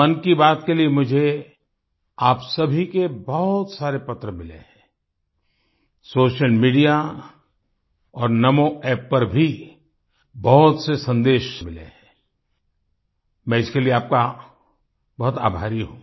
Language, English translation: Hindi, I have received many letters from all of you for 'Mann Ki Baat'; I have also received many messages on social media and NaMoApp